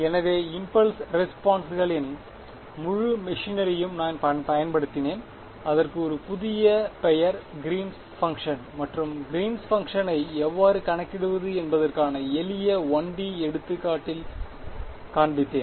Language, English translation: Tamil, So, I have just applied the whole machinery of impulse responses given it a new name Green’s function and shown you in a simple 1 D example how to calculate the Green’s function